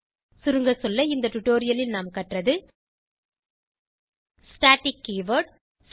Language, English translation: Tamil, Let us summarize: In this tutorial, we learned, static keyword